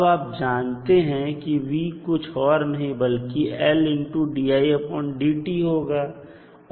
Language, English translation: Hindi, So, we have found the value of v naught